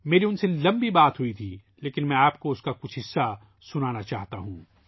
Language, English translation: Urdu, I had a long chat with her, but I want you to listen to some parts of it